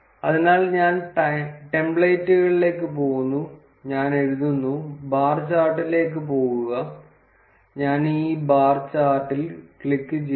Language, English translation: Malayalam, So, I go to the templates, I write, go to bar chart, and I click this bar chart